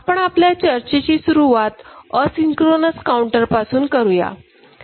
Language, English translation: Marathi, We begin our discussion with asynchronous up counter ok